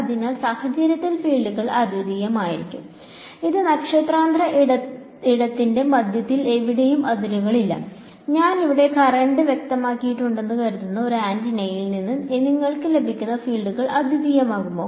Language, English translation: Malayalam, So, in this case will the fields be unique there is no boundary anywhere it is in middle of interstellar space; will the fields that you get from this antenna supposing I have specified the current over here will they be unique